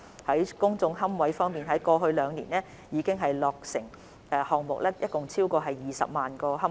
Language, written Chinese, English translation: Cantonese, 在公眾龕位方面，過去兩年落成的項目共提供超過20萬個龕位。, In respect of public niches projects completed in the past two years have provided over 200 000 niches